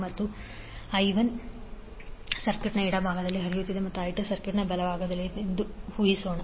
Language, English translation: Kannada, Let us assume that the current I 1 is flowing in the left part of the circuit and I 2 is flowing in the right one of the circuit